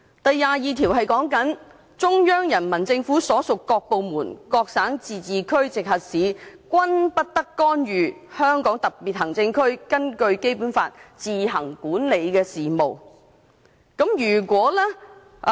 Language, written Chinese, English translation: Cantonese, 第二十二條訂明："中央人民政府所屬各部門、各省、自治區、直轄市均不得干預香港特別行政區根據本法自行管理的事務。, It stipulates that [n]o department of the Central Peoples Government and no province autonomous region or municipality directly under the Central Government may interfere in the affairs which the Hong Kong Special Administrative Region administers on its own in accordance with this Law